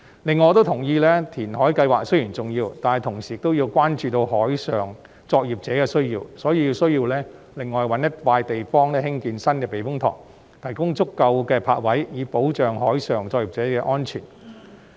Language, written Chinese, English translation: Cantonese, 此外，我亦同意填海計劃雖然重要，但同時亦要關注海上作業者的需要，因此有需要另覓一幅土地興建新的避風塘，提供足夠的泊位，保障海上作業者的安全。, In addition I also agree that while reclamation projects are important the needs of maritime operators must also be taken into consideration at the same time . Thus it is necessary to identify another site for the construction of a new typhoon shelter to provide sufficient berthing spaces to protect the safety of maritime operators